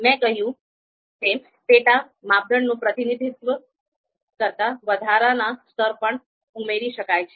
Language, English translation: Gujarati, So as I said additional levels representing the sub criteria can also be added